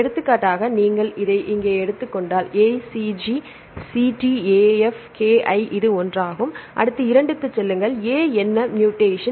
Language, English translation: Tamil, For example, if you take this one here ACG CT AF KI right this is one, next go to 2 what is the mutation A is mutated to G right